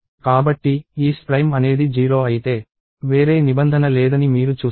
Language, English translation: Telugu, So, if isPrime is 0, you see that there is no else clause